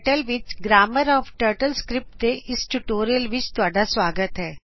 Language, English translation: Punjabi, Welcome to this tutorial on Grammar of TurtleScript in KTurtle